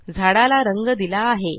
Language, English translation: Marathi, We have colored the tree